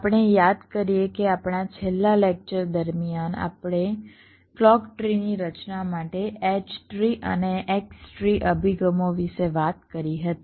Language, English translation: Gujarati, we recall, during our last lecture we talked about the h tree and x tree approaches for designing a clock tree